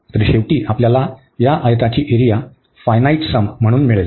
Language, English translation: Marathi, So, we will get finally the area of these rectangles in the finite sum